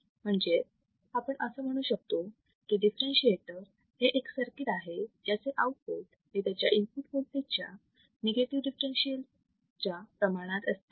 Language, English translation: Marathi, Differentiator is a circuit whose output is proportional whose output is proportional to the negative differential of the input voltage right